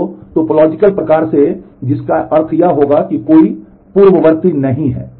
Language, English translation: Hindi, So, by topological sort which will mean this have no predecessor